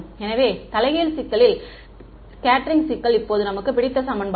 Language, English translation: Tamil, So, the inverse scattering problem now back to our favorite equation right